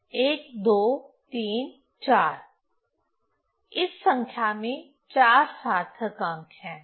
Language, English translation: Hindi, So, this number has 4 significant figures